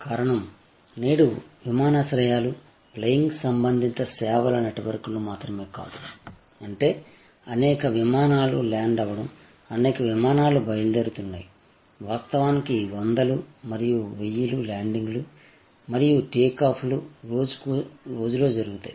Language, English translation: Telugu, The reason being that today, the airports are not only networks of flying related services; that means, where number of aircrafts land, number of aircrafts take off, in fact 100s and 1000s of landings and take offs happen over the day